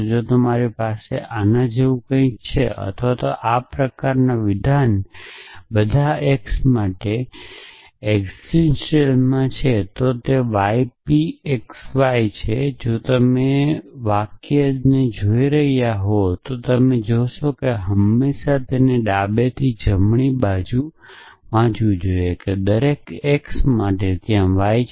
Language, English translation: Gujarati, If you have something like this or statement like this for all x there exists y p x y they if you look at the what is the sentences saying the sentences saying you should always read the quantifier from left to right that for every x there exist a y